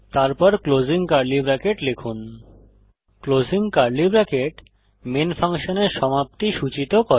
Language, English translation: Bengali, Type opening curly bracket { The opening curly bracket marks the beginning of the function main